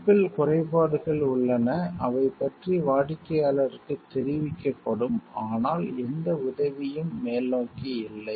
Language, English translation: Tamil, There are flaws in the chip the customer is informed of them, but no help is offered